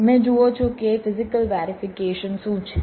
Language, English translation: Gujarati, you see what is physical verification